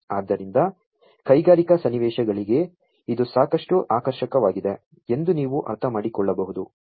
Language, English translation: Kannada, So, as you can understand that this is quite attractive for industrial scenarios